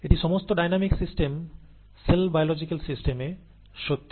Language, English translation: Bengali, This is true for all dynamic systems, the cell biological systems or all dynamic systems